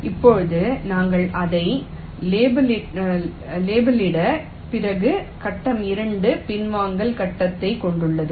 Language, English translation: Tamil, now, after we have labeled it, phase two consists of the retrace phase